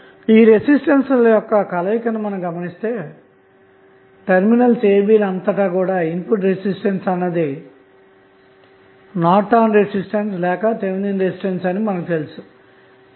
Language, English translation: Telugu, So, these are in this combination when you see resistance that is input resistance across terminal a, b that would be nothing but the Norton's resistance or you can say Thevenin resistance what would be the value